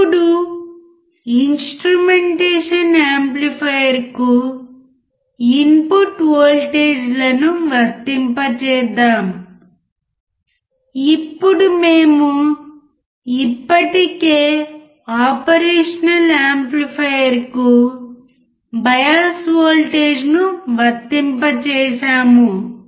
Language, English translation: Telugu, So, let us apply the input voltages to the instrumentation amplifier, now we have already applied the bias voltage to the operation amplifier